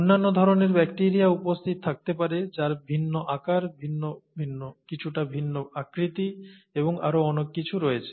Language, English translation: Bengali, There could be other kinds of bacteria that are present with different shapes, different, slightly different size, and so on so forth